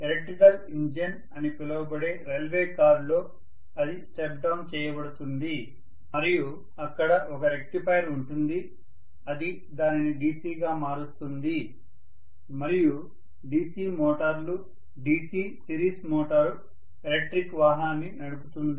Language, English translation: Telugu, Then it is stepped down within the railway car which is known as the electric engine and that there is a rectifier sitting which would be converting that into DC and with the DC motors, DC series motor drive the electric vehicle